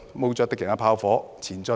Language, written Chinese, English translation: Cantonese, 冒著敵人的炮火，前進！, March on! . Braving the enemies fire! . March on!